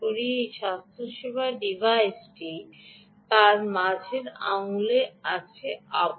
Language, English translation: Bengali, ok, this healthcare device is strap to ah, her middle finger